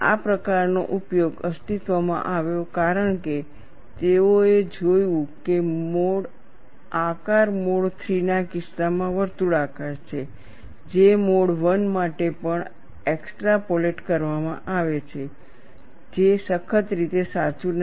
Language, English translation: Gujarati, That kind of utilization came into existence, because they have looked at the shape is circular in the case of mode 3, which is extrapolated to for mode 1 also, which is not strictly correct